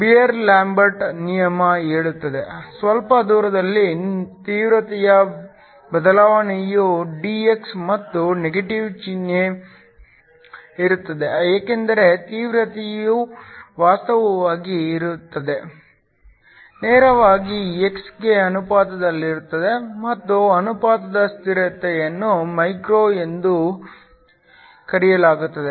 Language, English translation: Kannada, The Beer Lambert law says, that the change in intensity over a small distance dx and there is a negative sign because the intensity actually it goes down, is directly proportional to x and the proportionality constant is called μ